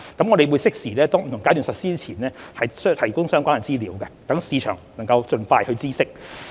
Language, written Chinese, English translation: Cantonese, 我們會適時於不同階段實施之前提供相關資料，讓市場能盡快知悉。, Relevant information will also be provided duly before the launch of each of the subsequent phases to give early information to the market